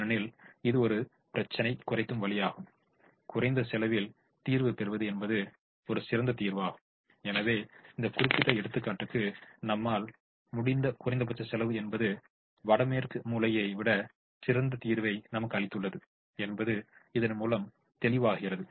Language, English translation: Tamil, because it's a minimization problem, the solution with the lower cost is a better solution and therefore, for this particular example, we can say that the minimum cost has given us a better solution than the north west corner